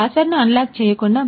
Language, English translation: Telugu, Without unlocking the password